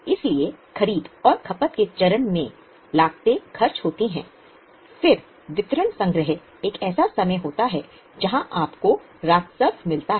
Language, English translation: Hindi, So, at the stage of procurement and consumption, the costs are incurred, then delivery collection is a time you get the revenue